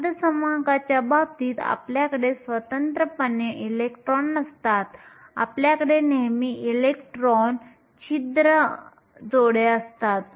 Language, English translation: Marathi, In case of semiconductors, we don’t have electrons independently; we always have electron hole pairs